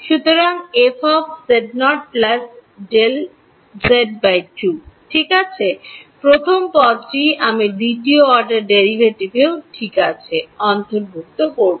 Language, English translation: Bengali, So, first of all let us see what order of derivative is there second order derivative right